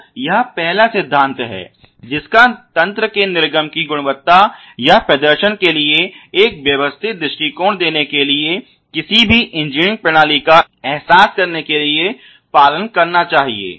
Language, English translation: Hindi, So, this is the first principle that you should follow in order to realize any engineering system for giving a systematic point of view to the quality of output of or the performance of the system